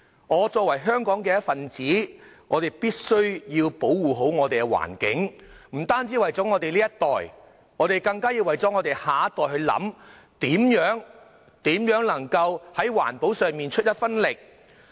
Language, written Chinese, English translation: Cantonese, 我作為香港的一分子，必須保護好環境，不單為了我們這一代，更為了下一代設想，在環保上出一分力。, As a member of Hong Kong we must protect our environment not only for our own generation but also for the next generation